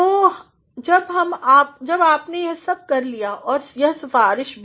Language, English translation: Hindi, So, when you have done all that and recommendation as well